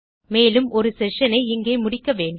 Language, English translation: Tamil, And we need to end our session here